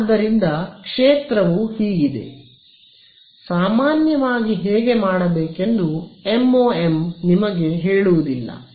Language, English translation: Kannada, So, the field is so, MoM in general does not tell you which one to do